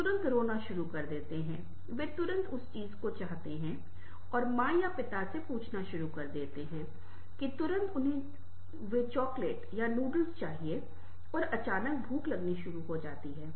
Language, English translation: Hindi, and start asking, ah, mother or father, that immediately they want some kinds of chocolate or noodles and suddenly hunger is starts